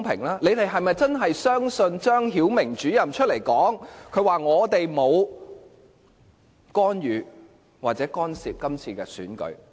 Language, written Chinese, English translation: Cantonese, 他們是否真的相信張曉明主任沒有干預或干涉今次選舉？, Do they really believe that Director ZHANG Xiaoming has not interfered or intervene in this election?